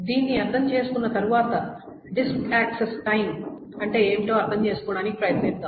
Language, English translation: Telugu, And having understood this, let us now try to understand what is a disk access time